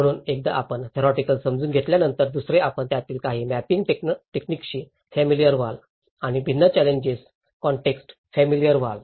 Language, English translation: Marathi, So once you are familiar with the theoretical understanding, the second you are familiar with some of the mapping techniques of it and getting familiar with different challenging context